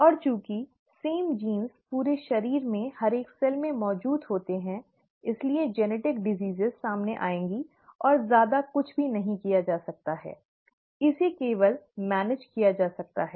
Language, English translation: Hindi, And since the same genes are present in every single cell throughout the body, genetic diseases will manifest across and there is nothing much can be done, it can only be managed